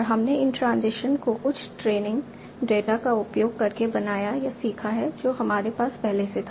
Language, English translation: Hindi, And we modeled or learned these transitions using some training data that we already had